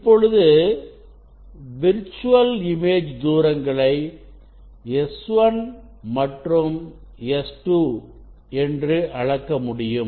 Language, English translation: Tamil, Now, you now, distance of the virtual image s 1 and s 2 is measured